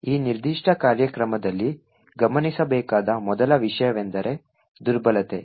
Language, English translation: Kannada, The first thing to note in this particular program is the vulnerability